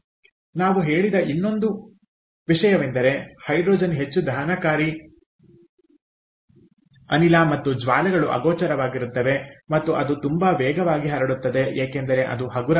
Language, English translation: Kannada, the other thing we said was hydrogen is a highly combustible gas and the flames are invisible and it spreads very rapidly because its light